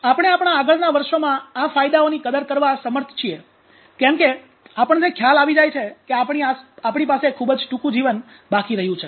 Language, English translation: Gujarati, So therefore we are able to appreciate these benefits in our advanced years because we come to realize that we have short amount of life left So that is why in this small world we live for a short span